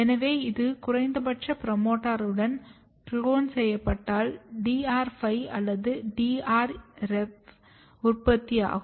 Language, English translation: Tamil, So, this has been cloned along with a basal minimum promoter and then this construct DR5 or DR5rev this has been generated